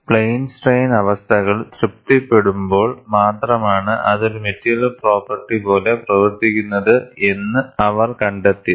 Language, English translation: Malayalam, What they found was, it behaves like a material property, only when plane strain conditions were satisfied